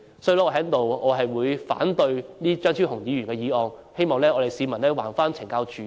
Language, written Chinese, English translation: Cantonese, 所以，我反對張超雄議員的議案，希望市民還懲教署一個公道。, Therefore I oppose Dr Fernando CHEUNGs motion and hope that members of the public will return justice to CSD